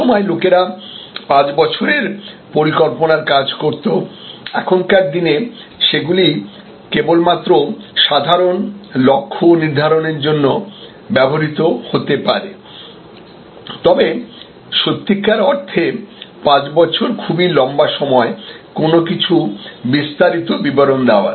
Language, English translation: Bengali, At one time people used to do 5 years planning, these days that can only be a sort of general goal setting, but really 5 years is now too long for spelling out everything in details